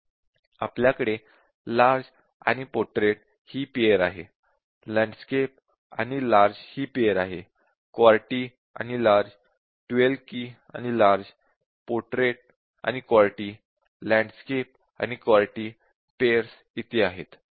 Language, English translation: Marathi, So, we have large and portrait and we have landscape and large and we have QWERTY and large we have 12 key and large and we have portrait and QWERTY, but what about landscape and QWERTY yes we have here